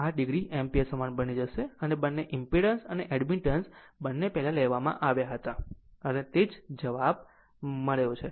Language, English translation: Gujarati, 8 degree Ampere same as before; both impedance and admittance both taken together and got the same answer